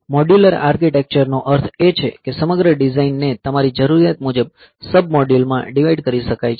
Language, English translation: Gujarati, So, modular architecture means that the entire design, it can be divided into sub modules